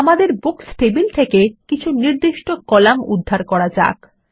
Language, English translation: Bengali, Let us retrieve specific columns from the Books table